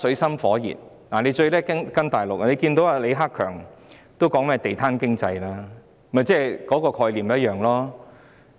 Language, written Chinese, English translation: Cantonese, 香港最喜歡跟從大陸，李克強總理也提及"地攤經濟"，概念是一樣的。, Hong Kong is keen to copy from the Mainland . Premier LI Keqiang has also mentioned the street vendor economy which is the same concept